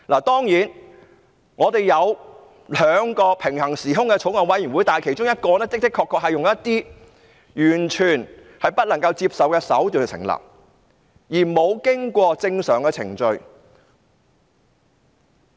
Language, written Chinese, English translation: Cantonese, 當然，我們有兩個平行時空的法案委員會，而其中一個確實是採用完全不能接受的手段成立，並無經過正常程序。, Of course we had two Bills Committees that paralleled one another in time and space but one of them was indeed formed by totally unacceptable means and did not go through the normal procedure